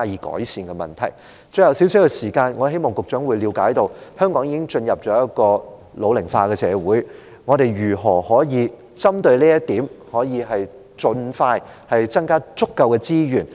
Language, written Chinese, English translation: Cantonese, 最後，餘下少量的發言時間，我希望局長了解香港已經進入老齡化的社會，我們如何針對這點，盡快增加足夠的資源？, Finally I want to say during the remaining limited speaking time that I hope that the Secretary understands the fact that Hong Kong has already become an ageing society . How can we provide sufficient resources to cope with this situation without delay?